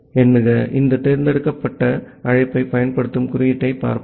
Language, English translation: Tamil, So, let us look into a code which uses this select call